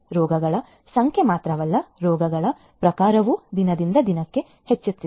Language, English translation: Kannada, Not only the number of diseases, but also the types of diseases are also increasing day by day